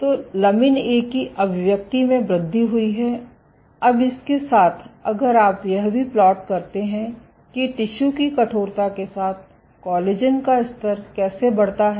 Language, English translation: Hindi, So, there is an increase in lamin A expression, now along this if you also plot how collagen levels scale with tissue stiffness